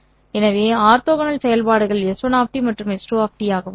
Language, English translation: Tamil, Therefore their orthogonal functions would also be 5 1 of 5